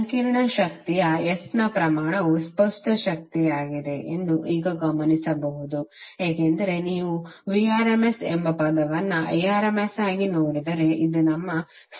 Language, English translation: Kannada, Now you can notice that the magnitude of complex power S is apparent power because if you see this term Vrms into Irms this is our apparent power